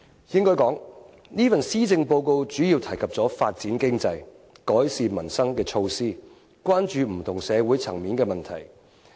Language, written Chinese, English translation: Cantonese, 應該說，這份施政報告主要提及發展經濟、改善民生的措施，關注不同社會層面的問題。, Perhaps we should put it this way this Policy Address is mainly about measures relating to economic development improvement of the peoples livelihood and problems confronting different social strata